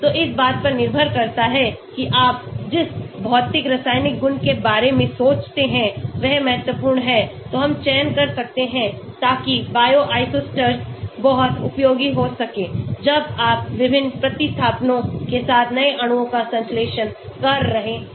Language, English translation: Hindi, So depending upon which physicochemical property you think is important we can select so Bioisosteres can be very, very useful when you are synthesizing new molecules with different substitutions